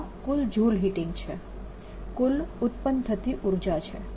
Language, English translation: Gujarati, so this is a total joule heating, total heat produced